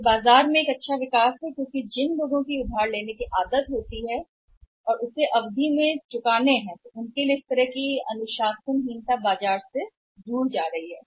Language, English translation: Hindi, This a good development in the market because people who are in the habit of buying on credit and then paying it at a delayed periods after delayed period on a delayed then that kind of the say indiscipline is going away from the market